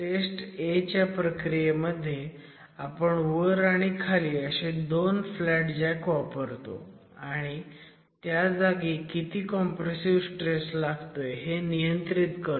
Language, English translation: Marathi, So, test method A requires that you introduce flat jacks at the top and bottom of the test location and control how much of in situ compressive stress is being applied